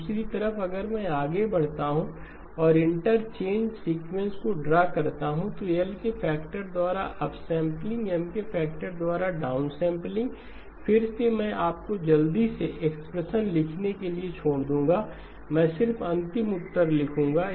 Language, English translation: Hindi, On the other side if I move over and draw the interchanged sequence, upsampling by a factor of L, downsampling by a factor of M, again I will leave you to quickly write down the expressions, I will just write the final answer